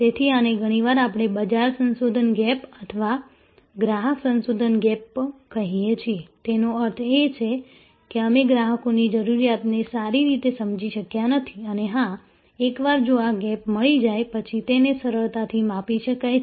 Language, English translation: Gujarati, So, this is often we call the market research gap or customer research gap; that means, we have not understood the customers requirement well in depth and this can of course, once if this is found, this is gap is found, then is can be easily calibrated